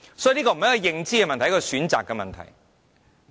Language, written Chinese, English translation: Cantonese, 所以，這不是認知的問題，而是選擇的問題。, So this is not about whether one acknowledges this option but about what one chooses